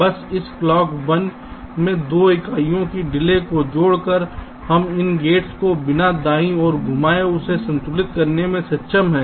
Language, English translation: Hindi, just by adding a delay of two units in this clock one, we have been able to balance it without moving these gates around, right